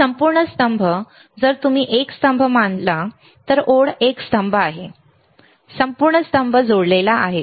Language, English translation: Marathi, This whole column if you consider this as a column my line is a column, whole column is connected